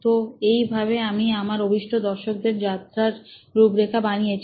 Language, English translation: Bengali, So, this is what we traced as a journey that my intended audience